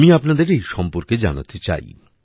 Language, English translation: Bengali, I want to tell you about this too